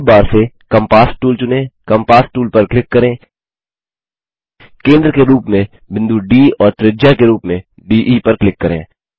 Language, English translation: Hindi, Lets select the compass tool from tool bar , click on the compass tool,click on the point D as centre and DE as radius